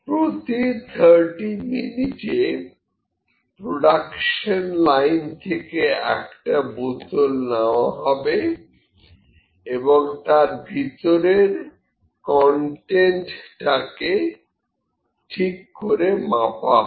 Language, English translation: Bengali, Once every 30 minutes a bottle is selected from the production line and its contents are noted precisely